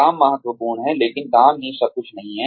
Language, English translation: Hindi, Work is important, but work is not everything